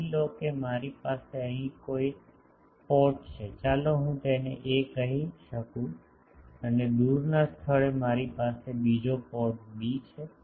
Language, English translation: Gujarati, Suppose I have a port here let me call it a and at a distant point, I have another port b